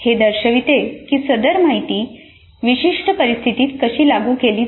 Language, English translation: Marathi, This shows how the presented information is applied to specific situation